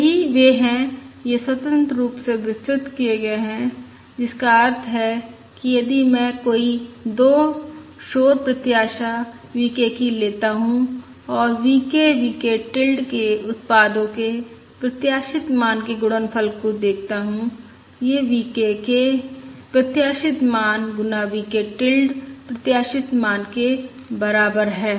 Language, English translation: Hindi, which means if I take any 2 noise samples expected V k into and look at the product expected value of the product V k, V k tilde, this is equal to the expected value of V k times expected value of V tilde